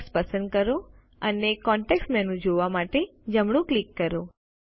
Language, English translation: Gujarati, Select the text and right click for the context menu and select Character